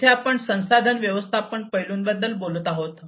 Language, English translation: Marathi, Here we are talking about resource management aspects